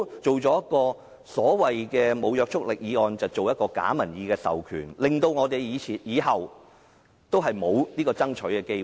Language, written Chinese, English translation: Cantonese, 政府不要提出了無約束力的議案，製造假民意的授權，令我們以後也沒有爭取的機會。, The Government should no longer propose non - binding motions to create bogus public mandates so as to deny us an opportunity to fight for it in the future